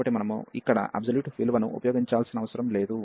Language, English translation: Telugu, So, we do not have to use the absolute value here